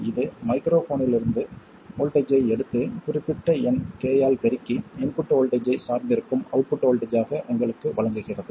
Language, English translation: Tamil, It takes the voltage from the microphone and multiplies it by a certain number k and gives you an output voltage which is dependent on the input voltage